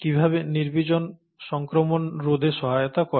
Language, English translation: Bengali, And how does sterilization help in preventing infection